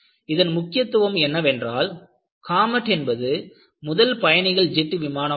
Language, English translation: Tamil, The importance of comet is, this was the first commercial jet liner put into service